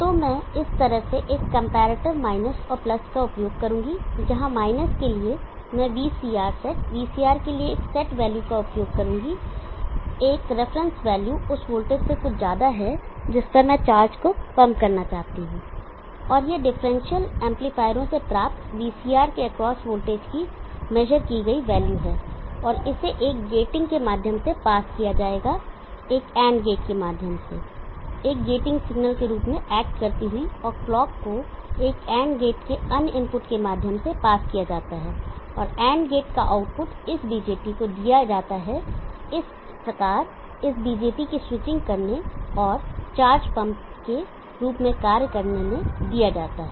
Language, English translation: Hindi, So I will use a comparator minus and plus in this fashion where for the minus I will use a VCR set asset value for VCR a reference value some voltage beyond which I want to pump up the charge and this is we measured value or the voltage across VCR obtained from differential amplifiers and this will be passed through a gating through AND gate act as a gating signal and clock is pass through the other input of an AND gate the output of the AND gate is given to this BJT thus enabling switching out this BJT